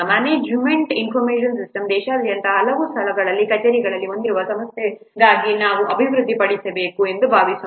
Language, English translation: Kannada, A management information system, suppose you have to develop for an organization which is having offices at several places across the country